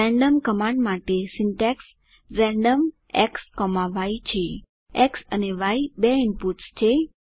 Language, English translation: Gujarati, Syntax for the random command is random X,Y where X and Y are two inputs